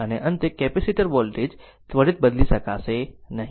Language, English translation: Gujarati, And at the end, capacitor voltage cannot change instantaneously